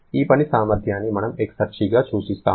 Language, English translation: Telugu, This work potential is the one that we refer to as the exergy